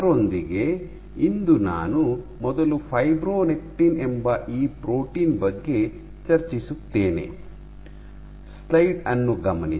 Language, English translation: Kannada, With that today I will first discuss this protein called fibronectin